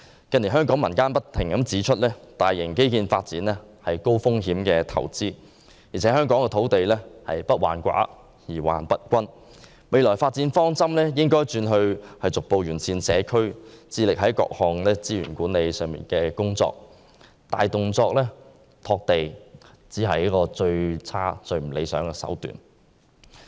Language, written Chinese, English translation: Cantonese, 近年香港民間不斷指出，大型基建發展是高風險投資，香港土地不患寡而患不均，未來發展方針應轉為逐步完善社區，致力於各項資源管理工作，大動作拓地只是最差、最不理想的手段。, In recent years it has repeatedly been pointed out in the community that investments in mega infrastructure projects are highly risky . It is not that we do not have land in Hong Kong but that the land is not fairly allocated . Future developments should focus on gradual improvement of the community and better management of resources